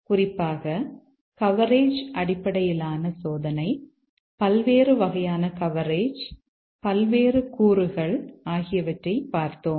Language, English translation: Tamil, Specifically, we have looked at the coverage based testing, various types of coverage, various elements